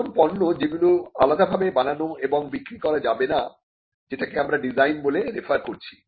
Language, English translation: Bengali, Articles not capable of being made or sold separately, what we measured referred as the design itself